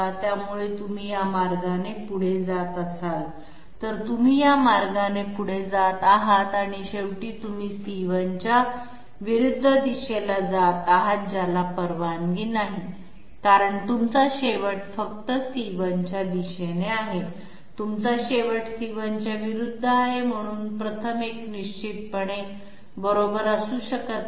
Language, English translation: Marathi, So if you move this way, you are moving this way and ultimately you are ending up in the opposite direction of C1 that is not allowed because you are supposed end up along C1 direction only, you are ending up in opposite C1, so the 1st one definitely cannot be correct